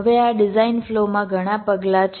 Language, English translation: Gujarati, there are many steps in this design flow